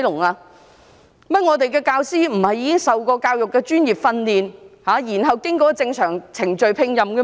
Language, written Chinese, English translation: Cantonese, 原來我們的教師並非受過教育專業訓練，然後經過正常程序聘任的嗎？, Is it not true that our teachers were recruited through normal procedures after receiving professional training in education?